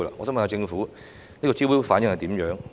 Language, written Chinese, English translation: Cantonese, 請問政府招標的反應如何呢？, May I ask the Government about the response to the tender exercises concerned?